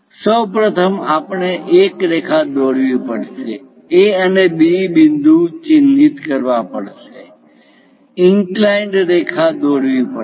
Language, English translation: Gujarati, First of all, we have to draw a line, mark A and B points, draw an inclined line